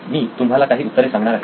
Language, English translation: Marathi, I’m going to give out some of the answers here